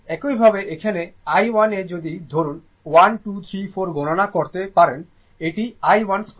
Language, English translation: Bengali, Similarly like here i 1 at if suppose 1, 2, 3, 4, you can calculate your this is i 1 square